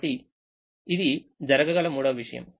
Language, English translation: Telugu, so this is the third thing that can happen